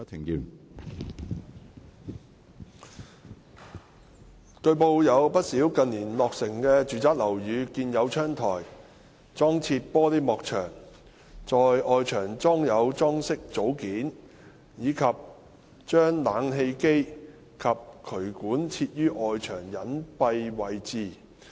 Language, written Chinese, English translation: Cantonese, 據報，有不少近年落成的住宅樓宇建有窗台、裝設玻璃幕牆、在外牆裝有裝飾組件，以及把冷氣機及渠管設於外牆隱蔽位置。, It has been reported that quite a number of residential buildings newly completed in recent years were constructed with bay windows fitted with glass curtain walls installed with decorative components on external walls and had air - conditioners and drainage pipes installed in concealed locations on the external walls